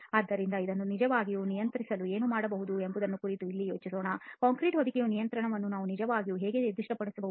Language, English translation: Kannada, So let us now think about what can be done to really control this, how can we actually specify the control of the concrete cover